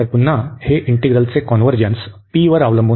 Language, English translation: Marathi, So, here again this convergence of this depends on p